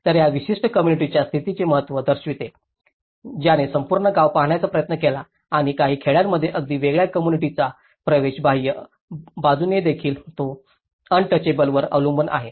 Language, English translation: Marathi, So, it shows the significance of the status of that particular community and who try to look at the whole village and including in some villages even the entry point of a different community also from the external side, it depends on the untouchable